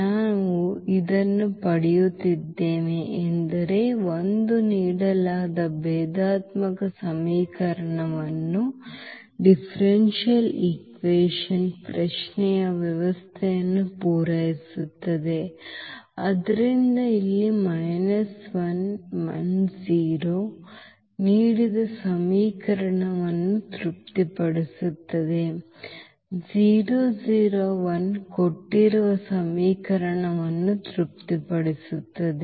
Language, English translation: Kannada, That we are getting this is either 1 is satisfying the given differential equation the given system of the question, so here minus 1 1 0 satisfies the given equation, also 0 0 1 is satisfying the given equation